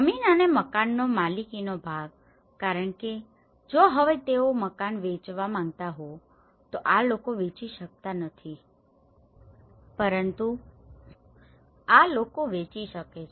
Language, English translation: Gujarati, And the ownership part of the land and the house because if they want to sell this house now these people cannot sell but these people can sell